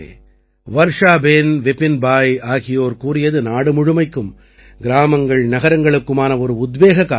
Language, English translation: Tamil, Friends, what Varshaben and Vipin Bhai have mentioned is an inspiration for the whole country, for villages and cities